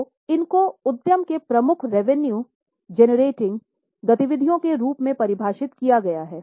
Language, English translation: Hindi, So, these are defined as principal revenue generating activities of the enterprise